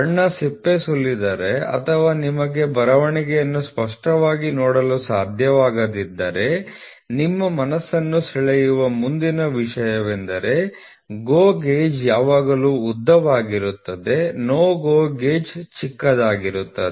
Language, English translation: Kannada, So, suppose if the paint peels off or you are not able to clearly see the writing, then the next thing which should strike your mind is GO gauge will always be longer no GO gauge will be shorter